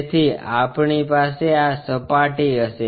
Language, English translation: Gujarati, So, we will have this surface